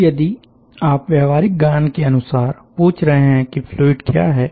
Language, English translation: Hindi, now, common sense wise, if we are ask that, what is the fluid